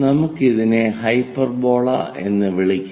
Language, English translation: Malayalam, Let us call hyperbola